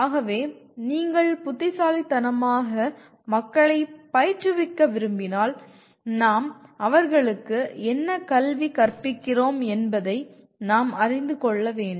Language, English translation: Tamil, So if you want to educate people wisely, we must know what we educate them to become